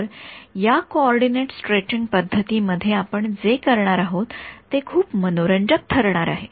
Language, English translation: Marathi, So, what we do in this coordinate stretching approach is going to be very interesting